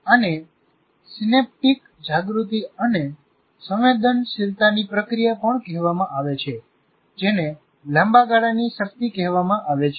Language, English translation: Gujarati, This is also called the process of synaptic awareness and sensitivity which is called long term potentiation